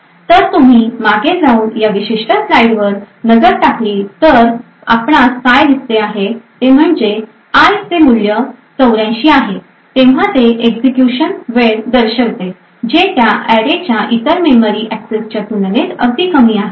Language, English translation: Marathi, So if you go back and look at this particular slide what we see is that when i has a value of 84 it shows a execution time which is considerably lower compared to all other memory accesses to that array